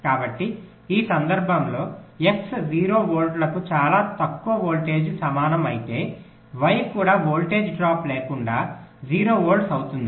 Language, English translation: Telugu, so for this case, if x equal to zero volts very low voltage, then y will also be zero volts without any voltage drop